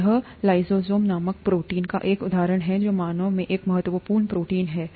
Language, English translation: Hindi, This is an example of a protein called lysozyme which is an important protein in the human body